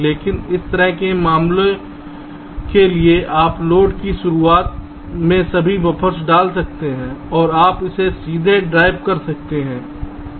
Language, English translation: Hindi, but for this kind of a cases you can put all the buffers at the beginning of the load and you can straightaway drive it